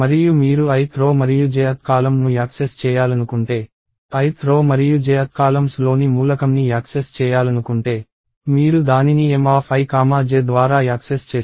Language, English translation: Telugu, And if you want to access the i th row and j th column – element in the i th row and j th column, you access it as M of i comma j